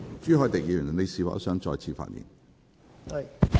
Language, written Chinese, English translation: Cantonese, 朱凱廸議員，你是否想再次發言？, Mr CHU Hoi - dick do you wish to speak again?